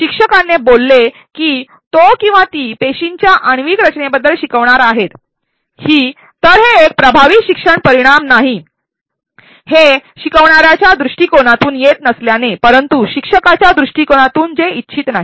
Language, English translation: Marathi, The instructors stating that he or she is going to be teaching about the molecular composition of cells is not an effective learning outcome, since it is not coming from the learner’s perspective, but from instructor’s perspective which is not desired